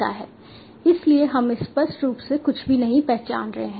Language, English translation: Hindi, so we are not explicitly identifying anything